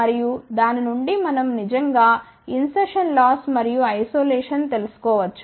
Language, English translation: Telugu, And, from that we can actually find out the insertion loss and isolation